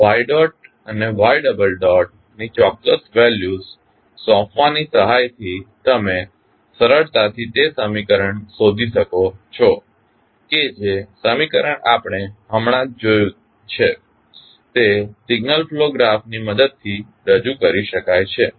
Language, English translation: Gujarati, So, with the help of assigning the particular values of y dot and y double dot you can simply find out that the equation which we just saw can be represented with the help of signal flow graph